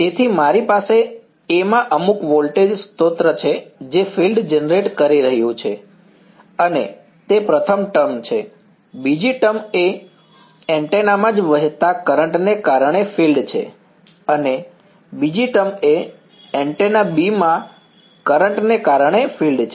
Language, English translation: Gujarati, So, I have some voltage source in A which is generating a field and that is the first term, the second term is the field due to the current flowing in the antenna itself and the second term is the field due to the current in antenna B right